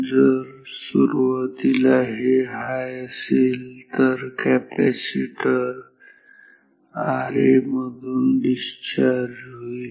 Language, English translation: Marathi, So, if this is initially high then the capacitor is discharging through R a